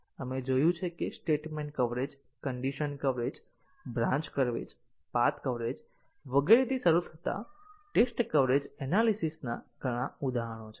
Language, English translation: Gujarati, We had seen that several instance of test coverage analysis starting with statement coverage, condition coverage, branch coverage, path coverage and so on